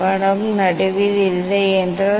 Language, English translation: Tamil, if image is not in middle